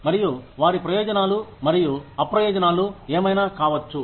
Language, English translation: Telugu, And, what their advantages and disadvantages could be